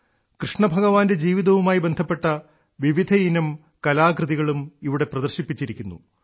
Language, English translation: Malayalam, Here, many an artwork related to the life of Bhagwan Shrikrishna has been exhibited